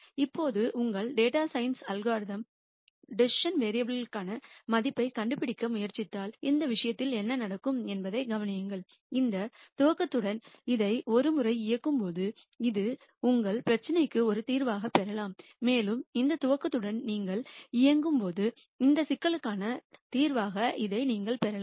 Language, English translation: Tamil, Now, notice what happens in this case if your data science algorithm is trying to find a value for the decision variable, when you run this once with this initialization you might get this as a solution to your problem, and when you run with this initialization you might get this as a solution to this problem